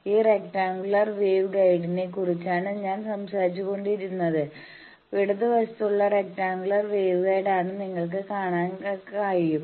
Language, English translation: Malayalam, Functionally this is the slotted line with carriage this is the rectangular wave guide I was talking, you can see from the left side it is seen that this is a left side rectangular wave guide